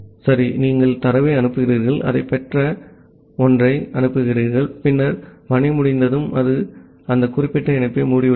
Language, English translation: Tamil, Ok, you send the data, you send something it has received that, then once the task is done it has closed that particular connection